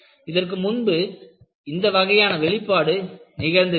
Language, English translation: Tamil, You know, you never had this kind of an exposure earlier